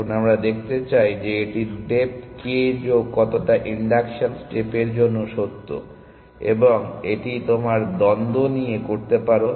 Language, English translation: Bengali, Now we want show that this is also true for depth k plus how much is the induction step, and this you will do by contradiction